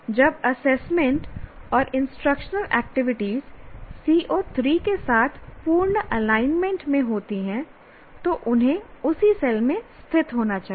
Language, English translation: Hindi, When the assessment and instructional activities are in full alignment with that, with CO3, then they should be located in the same cell